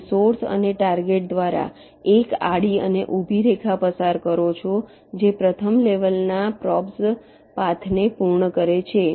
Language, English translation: Gujarati, you pass a horizontal and vertical line through source and target if first level probes, if they meet path is found